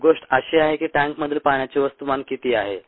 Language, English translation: Marathi, what is the mass of the water in the tank